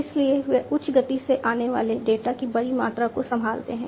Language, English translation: Hindi, So, they handle large volumes of data coming in high speeds, right